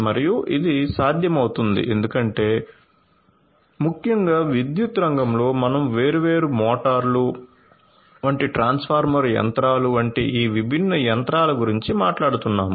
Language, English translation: Telugu, And this would be possible because essentially in the power sector we are talking about these different machinery machineries like transformer machineries like different motors, etcetera right